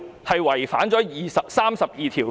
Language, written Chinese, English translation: Cantonese, 是否違反《基本法》第三十二條呢？, Is it a violation of Article 32 of the Basic Law?